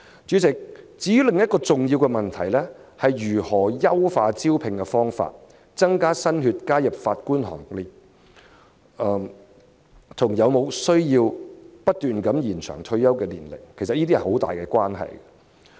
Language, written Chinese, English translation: Cantonese, 主席，另一個重要問題，是如何優化招聘方法，增加新血加入法官行列，這與有否需要不斷延展法官的退休年齡有很大關係。, President another important question is how to improve the recruitment method to attract new blood to join the Bench . This has great implication on the need to extend continuously the retirement age of Judges